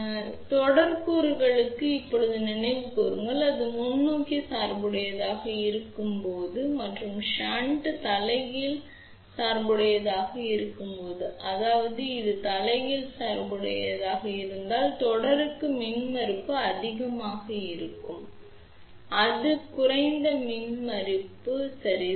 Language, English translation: Tamil, So, just recall now for the series component, when that is forward biased and the shunt is reverse bias; that means, if it is reverse biased impedance will be high for series, it will be low impedance ok